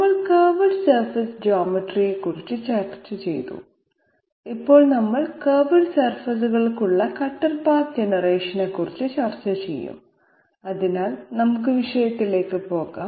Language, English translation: Malayalam, So we have discussed curved surface geometry, now we will discuss cuter path generation for curved surfaces, so let us move right into the subject